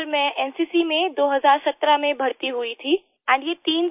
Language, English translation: Hindi, Sir I was enrolled in the NCC in 2017; these